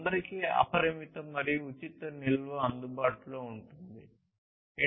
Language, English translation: Telugu, There would be unlimited and free storage available to everyone